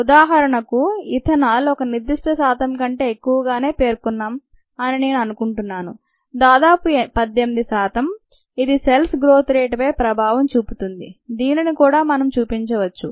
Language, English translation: Telugu, for example, i think we did mentioned ethanol beyond a certain percentage, some eighteen percent of so it's starts effecting the growth rate of cells